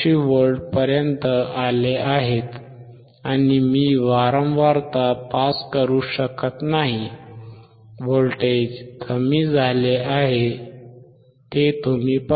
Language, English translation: Marathi, 84V, and I cannot pass the frequency, see the voltage is decreased